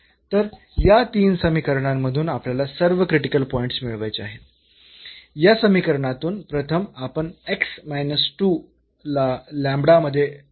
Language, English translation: Marathi, So, out of these 3 equations we have to find all the critical points, from this equation first we will write down this x minus 2 in terms of lambda